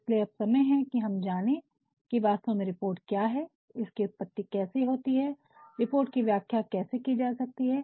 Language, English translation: Hindi, So, now, it is time that we knew, what actually is report, what is the origin, how can a report be defined, because when we talk about report